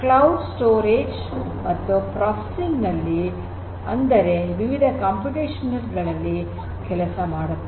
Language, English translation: Kannada, So, cloud will help you for storage and for processing; that means, running different computational jobs